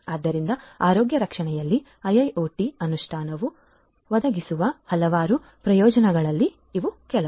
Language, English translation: Kannada, So, these are some of the main benefits that IIoT implementation in healthcare can provide